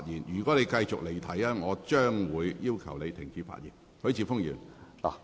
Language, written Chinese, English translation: Cantonese, 如果你繼續離題，我會要求你停止發言。, If you continue to digress I will have to ask you to stop speaking